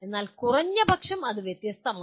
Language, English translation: Malayalam, But at least it is different